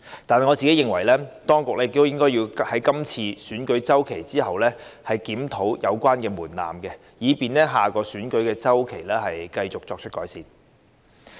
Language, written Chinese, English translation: Cantonese, 但是，我認為，當局亦應該在今次選舉周期後檢討有關門檻，以便在下個選舉周期繼續作出改善。, Yet in my view the authorities should review the said threshold after the current election cycle to seek further improvement in the next cycle